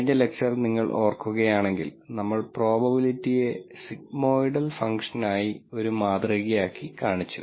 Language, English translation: Malayalam, And if you recall from the last lecture we modeled the probability as a sigmoidal Function